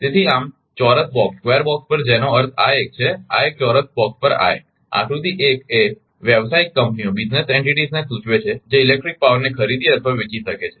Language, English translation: Gujarati, So, thus at the square boxes that mean this one this one this one at the square boxes right, in figure 1 denote business entities which can buy and or sell electric power right